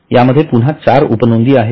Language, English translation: Marathi, Again you have got 4 items